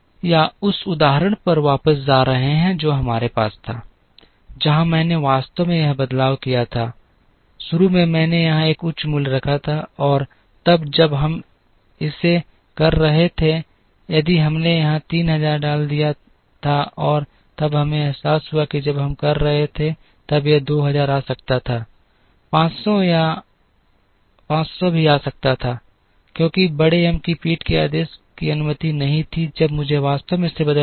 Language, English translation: Hindi, Or going back to the example that we had, where I actually made a change here, initially I had put a higher value here and then when we were doing it, if we had put a 3000 here, and then we realises when we were doing it 2000 could come, 500 could come, because these had big M’s back ordering was not allowed, when I had to actually change this